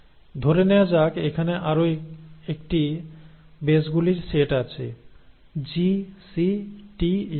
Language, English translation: Bengali, There are let us say another set, set of bases here, G, C, T, so on